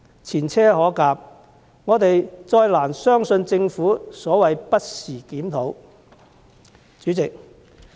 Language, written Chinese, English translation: Cantonese, 前車可鑒，我們再難以相信政府所謂的"不時檢討"。, With this previous experience we can hardly believe the Governments assertion of conducting a review from time to time again